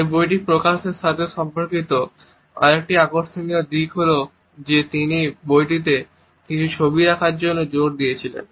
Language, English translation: Bengali, Another interesting aspect which is related with the publication of this book is the fact that he had insisted on putting certain photographs in the book